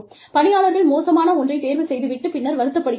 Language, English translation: Tamil, Employees, who make poor choices, and later regret